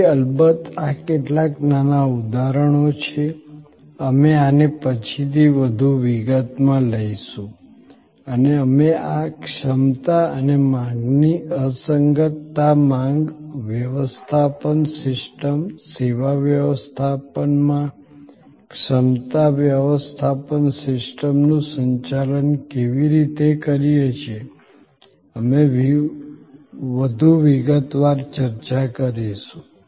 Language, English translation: Gujarati, So, these are some little examples of course, we will take this up in more detail later on and how we manage these capacity and demand mismatch, the demand managements system, the capacity management system in service management, we will discuss in that more detail